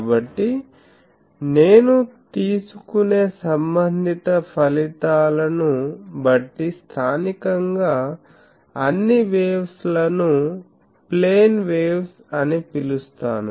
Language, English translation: Telugu, So, the relevant results that I will take that is called that locally all the waves are plane waves